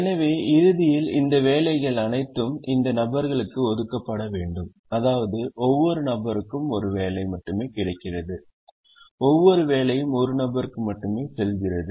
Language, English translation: Tamil, so at the end these jobs have to be allocated to people such that each person gets only one job and each job goes to only one person